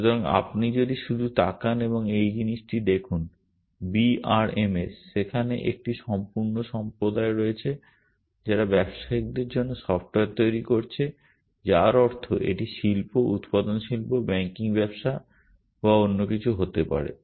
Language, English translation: Bengali, So, if you just look at, look up this thing B R M S, there is a whole community out there which is developing software for people in business meaning it could be industry, manufacturing industry, banking business or anything